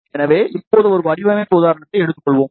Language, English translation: Tamil, So, now let us take a design example